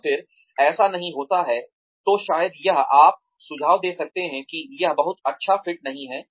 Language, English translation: Hindi, And then, that does not happen, then maybe this, you can suggest that, this is not a very good fit